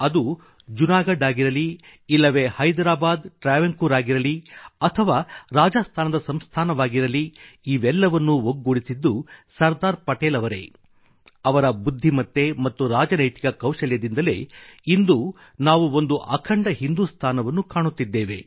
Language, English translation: Kannada, Whether Junagadh, Hyderabad, Travancore, or for that matter the princely states of Rajasthan, if we are able to see a United India now, it was entirely on account of the sagacity & strategic wisdom of Sardar Patel